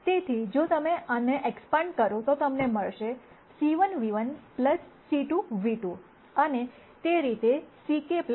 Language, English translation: Gujarati, So, if you expand this you will get c 1 nu 1 plus c 2 nu 2 and so on plus c k nu k